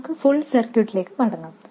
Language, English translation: Malayalam, Let's go back to the full circuit